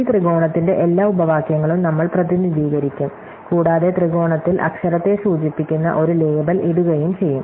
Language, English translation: Malayalam, So, we will represent every clause by this triangle and in the triangle will put a label which indicates the literal